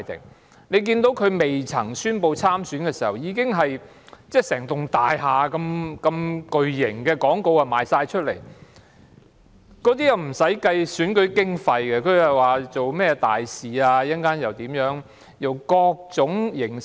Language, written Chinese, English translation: Cantonese, 大家也看到有候選人在宣布參選前已在大廈掛上巨型廣告，但卻未有計入選舉經費，利用種種名目說自己是甚麼大使。, As we can see a candidate had mounted a giant advertisement on a building before declaring her intent to run in an election using such pretexts like acting as some kind of ambassador so that it would not be counted as election expenses